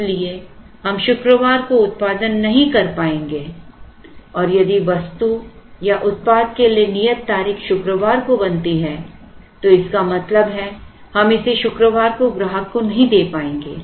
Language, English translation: Hindi, Therefore, we will not be able to produce it on Friday say now if the due date for the item or for the product that is to be made on Friday, which means we will not be able to deliver it to the customer on Friday